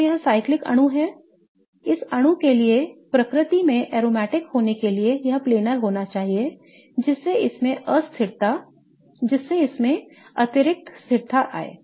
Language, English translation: Hindi, Okay, so it's a cyclic molecule it should be a planar molecule for the molecule to be aromatic in nature for it to have that extra stability